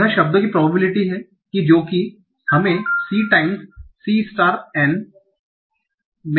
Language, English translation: Hindi, So this is the probability for the words things that are seen c times c star by n